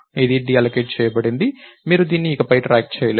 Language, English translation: Telugu, Its deallocated i, you cannot track it anymore